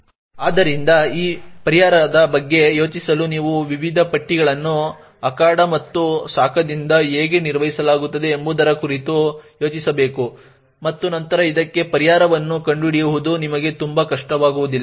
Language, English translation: Kannada, So, in order to think of this solution you must think about how the various lists are managed by the arena and by the heat and then it would not be very difficult for you to actually find a solution for this